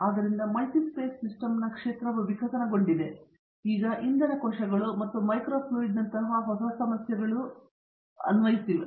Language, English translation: Kannada, So, the field of multiphase system are evolved and now applied to newer problems like Fuel Cells and Microfluidics